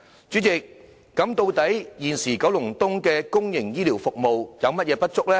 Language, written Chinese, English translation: Cantonese, 主席，現時九龍東的公營醫療服務究竟有何不足呢？, President what are the insufficiencies of public healthcare services in Kowloon East?